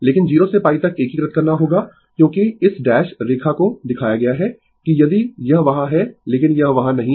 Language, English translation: Hindi, But you will integrate from 0 to pi because, this dash line is shown that if it is there, but it is not there it is not there